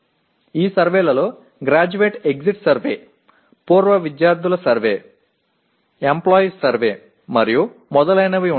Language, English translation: Telugu, These surveys will include graduate exit survey, alumni survey, employer survey and so on